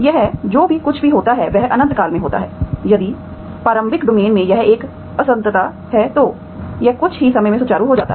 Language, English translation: Hindi, Whatever happens here it infinitely in no time, if it has a discontinuity in the initial domain then it smoothens out in no time